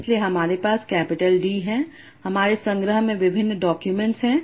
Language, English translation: Hindi, So, I have capital D different documents in my collection